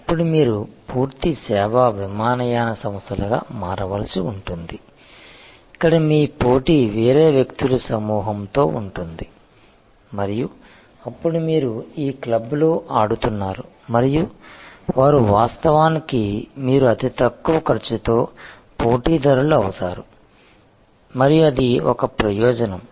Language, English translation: Telugu, You then may need to become a full service airlines, where your competition will be a different set of people and may be then you will be playing in this club and they are actually therefore, you will become the lowest cost competitor and that will be an advantage